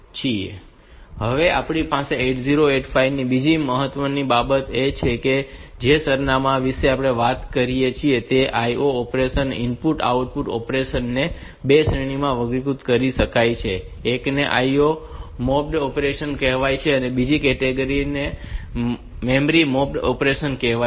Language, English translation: Gujarati, Now, another important thing that we have in 8085 is the addresses that we have talked about, IO operation, the input output operation, they can be classified into 2 categories; one is called IO mapped IO operation and another operation another category is called memory mapped IO operation